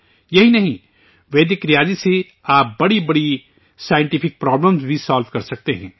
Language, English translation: Urdu, Not only this, you can also solve big scientific problems with Vedic mathematics